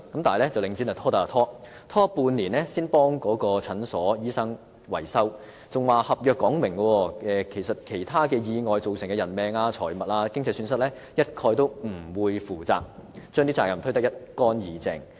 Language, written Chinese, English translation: Cantonese, 但領展卻拖得便拖，半年後才替診所維修，還表示合約列明其他意外造成的人命、財物、經濟損失一概不會負責，將責任推得一乾二淨。, However Link REIT resorted to procrastination as long as it could taking six months before repairs were carried out for the clinic . What is more Link REIT said that the tenancy agreement stated clearly that it would not be responsible for any loss of human life property or financial loss caused by other accidents thus shirking its responsibility completely